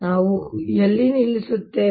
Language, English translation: Kannada, where do we stop